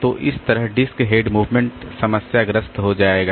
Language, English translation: Hindi, So, that way the disk head movement will become problematic